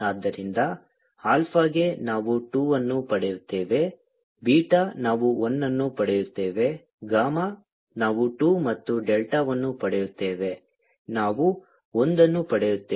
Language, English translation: Kannada, so for alpha will get two, beta will get one, gamma will get two and delta will get